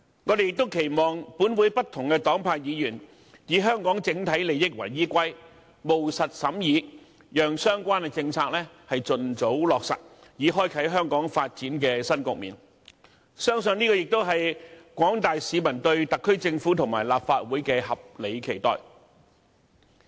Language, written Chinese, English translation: Cantonese, 我們亦期望本會不同黨派議員以香港整體利益為依歸，務實審議，讓相關政策盡早落實，以開啟香港發展的新局面，相信這也是廣大市民對特區政府和立法會的合理期待。, We also hope that Members from different political parties and groupings will take into account the overall interests of Hong Kong when conducting practical deliberation so that the relevant policies can be implemented expeditiously to open up a new situation in the development of Hong Kong . I believe this is also the general publics reasonable expectation of the SAR Government and the Legislative Council